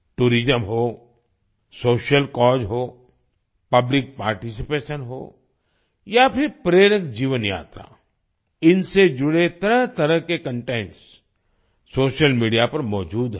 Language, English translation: Hindi, Be it tourism, social cause, public participation or an inspiring life journey, various types of content related to these are available on social media